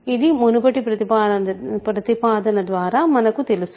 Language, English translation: Telugu, So, this is by previous proposition